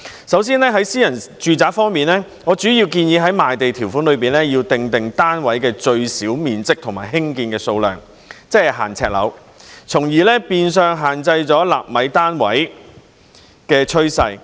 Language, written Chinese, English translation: Cantonese, 首先，在私人住宅方面，我主要建議在賣地條款中訂定單位的最小面積和興建的數量，即是"限呎樓"，從而變相限制興建"納米單位"的趨勢。, To start with regarding private residential flats I mainly propose to stipulate the minimum size and the number of flats to be constructed in the land sale conditions ie . flats with limited floor areas which amounts to stemming the trend of constructing nano flats